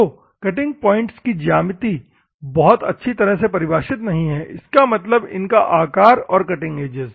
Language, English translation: Hindi, So, the geometry of cutting points abrasive grains are not well defined; that means, that the shape and the cutting edges